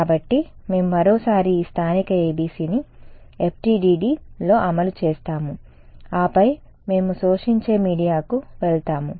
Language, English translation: Telugu, So, we will once again implement this local ABC in FDTD and then we will go to absorbing media